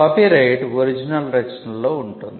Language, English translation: Telugu, Copyright subsists in original works